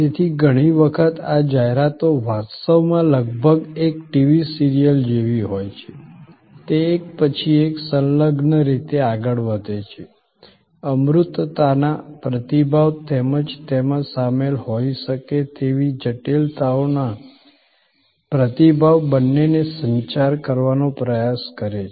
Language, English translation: Gujarati, So, many times these ads actually are almost like a TV serial, they go one after the other in a linked manner, trying to communicate both response to abstractness as well as response to complexities that may be involved